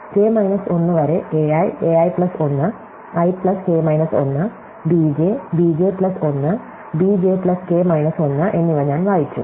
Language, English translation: Malayalam, So, I read a i a i plus 1 up to k minus 1, i plus k minus 1 and b j, b j plus 1 and b j plus k minus 1